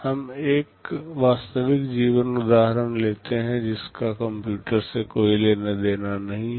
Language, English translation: Hindi, We take a real life example, which has nothing to do with computers